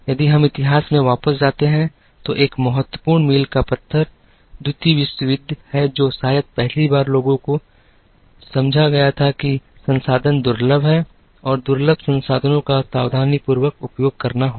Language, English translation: Hindi, If we go back into history, an important landmark is the Second World War, which perhaps was the first time made people understand, that resources are scarce and scarce resources will have to be utilized carefully